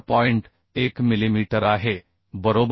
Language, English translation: Marathi, 1 millimetre right 78